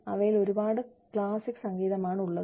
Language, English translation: Malayalam, And, we got very classic music on them